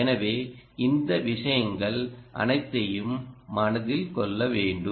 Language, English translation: Tamil, so all these things will have to be born in mind